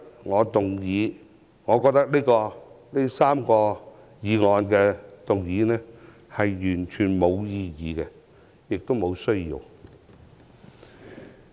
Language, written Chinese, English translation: Cantonese, 所以，我認為今天3項議案完全沒有意義，也沒有需要。, Thus I think the three motions proposed today are entirely meaningless and unnecessary